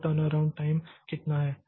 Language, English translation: Hindi, So, that is the turnaround time